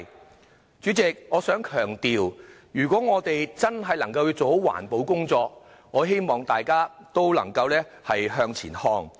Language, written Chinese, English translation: Cantonese, 代理主席，我想強調，若我們真的要做好環保工作，我希望大家也能向前看。, Deputy President I must stress that everyone should look ahead in order to do a good job of environmental protection